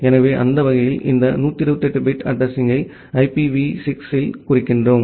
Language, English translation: Tamil, So, that way, we represent this 128 bit address in IPv6